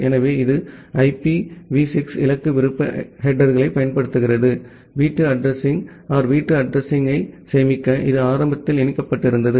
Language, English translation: Tamil, So, it use this IPv6 destination optional headers, to store the home address home address means, where it was initially connected